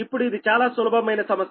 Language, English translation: Telugu, right now, this is simple problem